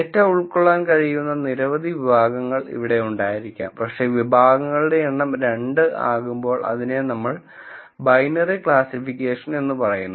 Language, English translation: Malayalam, There could be many categories to which the data could belong, but when the number of categories is 2, it is what we call as the binary classification problem